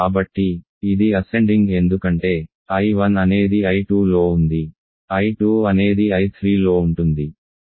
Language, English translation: Telugu, So, it is ascending because, I 1 is contained in I 2, I 2 is contained in I 3